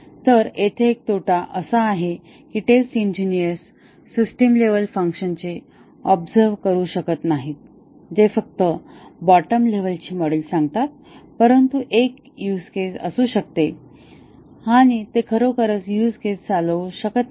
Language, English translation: Marathi, So, one disadvantage here is that the test engineers cannot observe the system level functions that is the just states the bottom level modules, but there may be a huge case and they cannot really run the huge case